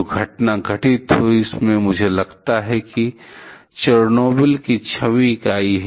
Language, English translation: Hindi, The incident that happened in are; I think that is the 6th unit of Chernobyl